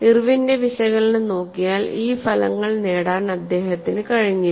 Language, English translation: Malayalam, If you look at Irwin's analysis, he was not able to get those results